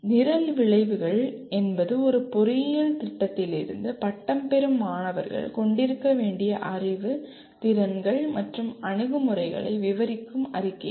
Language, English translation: Tamil, Coming to Program Outcomes, program outcomes are statements that describe what the knowledge, skills and attitudes students should have at the time of graduation from an engineering program